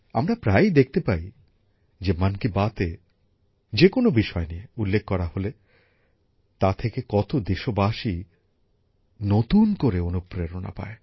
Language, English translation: Bengali, We often see how many countrymen got new inspiration after a certain topic was mentioned in 'Mann Ki Baat'